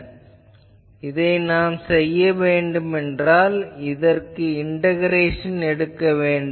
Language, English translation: Tamil, If I want to do this I will have to perform this integration